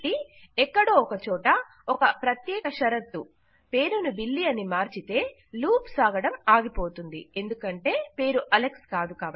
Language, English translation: Telugu, So somewhere we need to say on a specific condition change the name to Billy and then the loop wont continue any more because the name is not equal to Alex